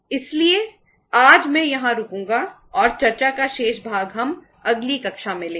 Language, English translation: Hindi, So today I will stop here and the remaining part of discussion we will take up in the next class